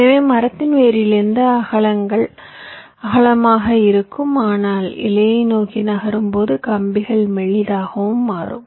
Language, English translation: Tamil, ok, so from the root of the tree, the, the widths will be wider, but but as you moves towards the leaf, the wires will become thinner and thinner